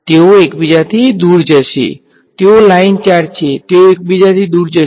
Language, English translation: Gujarati, They will move away from each other, they are line charges they will move away